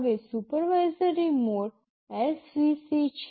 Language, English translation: Gujarati, Now, the supervisory mode is svc